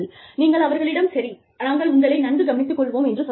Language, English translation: Tamil, So, you tell them that, okay, we will take care of you